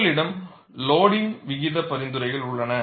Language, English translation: Tamil, So, you have loading rate recommendations